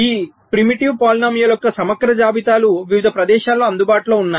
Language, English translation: Telugu, there are comprehensive lists of this primitive polynomials available in various places